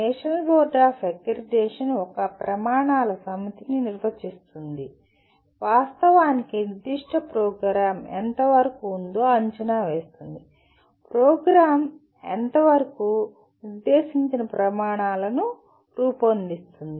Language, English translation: Telugu, The national board of accreditation defines a set of criteria and actually assesses to what extent the particular program is, to what extent the program is making the specified criteria